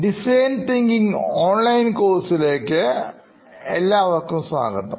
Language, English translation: Malayalam, Hello and welcome back to design thinking, the online course